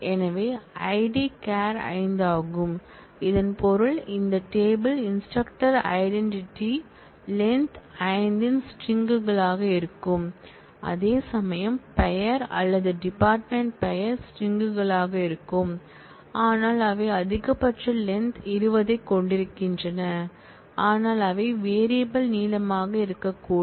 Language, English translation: Tamil, So, ID is char 5, this means that the identity of this table instructor will be strings of length 5 whereas, the name or the department name are strings, but they have a maximum length 20, but they could have be of variable length where a salary is of numeric type having specification (8, 2)